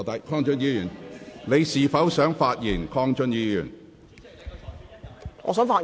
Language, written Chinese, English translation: Cantonese, 鄺俊宇議員，你是否想發言？, Mr KWONG Chun - yu do you wish to speak?